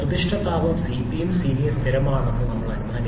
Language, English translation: Malayalam, We have assumed the specific heat Cp and Cv to be constant